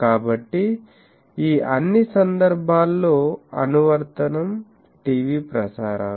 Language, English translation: Telugu, So, in all these cases the application is TV transmission